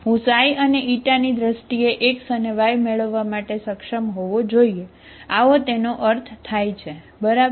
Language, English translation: Gujarati, I should be able to get x and y in terms of xi and Eta, there is a meaning, okay